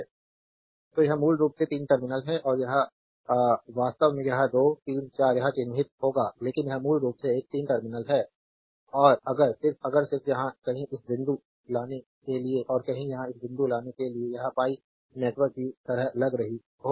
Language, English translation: Hindi, So, it is basically 3 terminal and one this is actually this your this is 2 3 4 this will mark, but this is basically a 3 terminal and if you just if you just bring this point to somewhere here and bring this point to somewhere here, this look like a your pi network